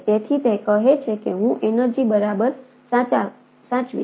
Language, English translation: Gujarati, so it says that i save energy, right